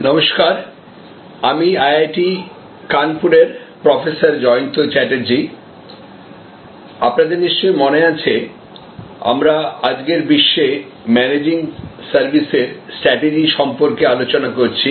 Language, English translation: Bengali, Hello, this is Jayanta Chatterjee from IIT, Kanpur and as you recall we are discussing about strategy in the context of Managing Services in today's world